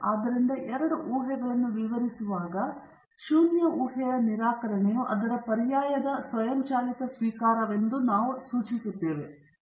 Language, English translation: Kannada, So, when defining the two hypotheses we imply that the rejection of the null hypothesis means automatic acceptance of its alternate